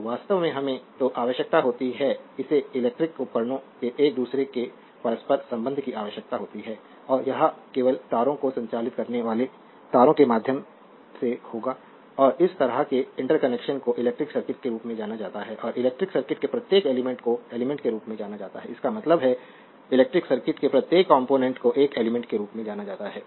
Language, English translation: Hindi, So, what we need actually we require an interconnection of electrical devices and interconnection it will be through wires only conducting wires only and such interconnection is known as the electric circuit and each element of the electric circuit is known as your element; that means, each component of the electric circuit is known as an element right